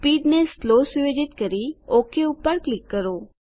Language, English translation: Gujarati, Set the speed to Slow Click OK